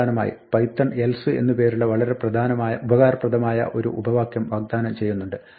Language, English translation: Malayalam, Finally, python offers us a very useful alternative clause called else